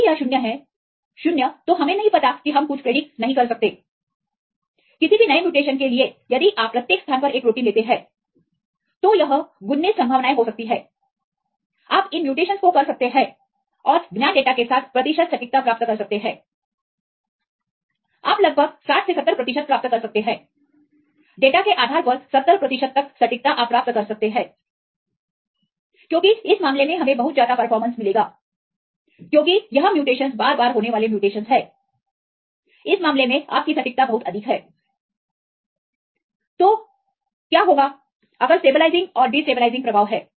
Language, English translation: Hindi, For any new mutation if you take a protein each this location it can be 19 possibilities you can do this mutations and get the percentage accuracy with known data, you can get about 60 to 70 percent 70, up to 70 percent accuracy you can get depending upon the data because in this case you will get the very high performance, because this mutations are very frequently occurring mutations in this case you are accuracy is very high